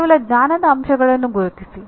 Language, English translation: Kannada, Just identify the knowledge elements